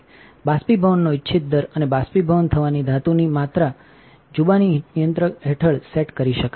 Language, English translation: Gujarati, The desired rate of evaporation and the amount of metal to be evaporated can be set under the deposition controller